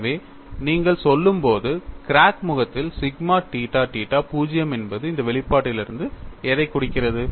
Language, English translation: Tamil, So, when you say, on the crack phase, sigma theta theta is 0, which implies what